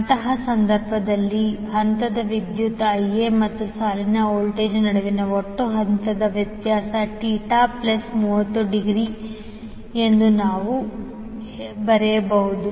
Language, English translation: Kannada, So in that case what we can write that the total phase difference between phase current Ia and the line voltage Vab will be Theta plus 30 degree